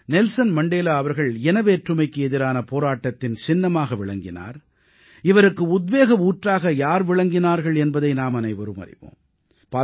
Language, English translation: Tamil, We all know that Nelson Mandela was the role model of struggle against racism all over the world and who was the inspiration for Mandela